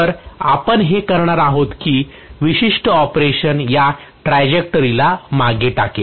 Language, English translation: Marathi, So we are going to have now this particular operation will traverse this particular trajectory